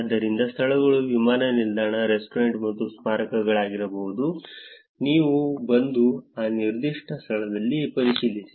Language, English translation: Kannada, So, venues can be airport, restaurant and monuments, you come and check in that particular location